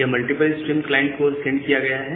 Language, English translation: Hindi, And this multiple stream is sent to the client